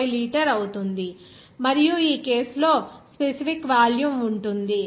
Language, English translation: Telugu, 05 liter per minute, and in this case, what will be the specific volume